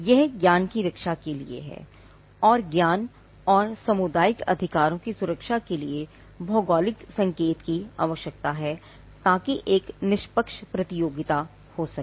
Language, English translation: Hindi, It is to protect the knowledge, we required geographical indication for the protection of knowledge and community rights; so that there can be a fair competition